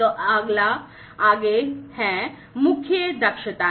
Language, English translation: Hindi, So, the next one is the core competencies